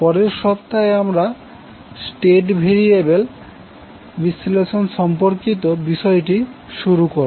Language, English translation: Bengali, In next week we will start our topic related to state variable analysis